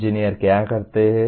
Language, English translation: Hindi, What do engineers do